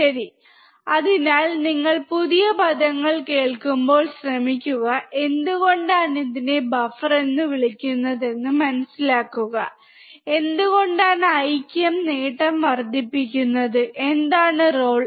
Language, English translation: Malayalam, Right, so, when you listen to new terminologies, try to understand why it is called buffer, why unity gain amplifier, what is the role